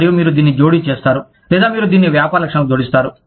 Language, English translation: Telugu, And, you mesh this, or, you add this to the business characteristics